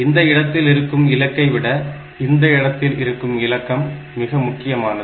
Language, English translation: Tamil, A digit here is more important than a digit at this point and that is going by the power of this